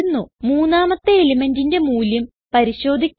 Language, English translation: Malayalam, We shall now see the value of the third element